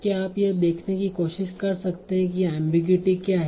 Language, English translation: Hindi, So can you try to see what is the ambiguity here